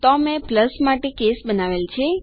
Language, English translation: Gujarati, So I have created a case for plus